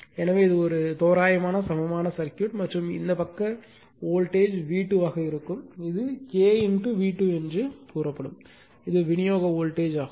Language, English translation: Tamil, So, this is an approximate equivalent circuit and this side voltage will be V 2 that is equal to say K into V 2, right and this is the supply voltage